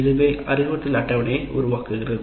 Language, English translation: Tamil, And first, this constitutes the instruction schedule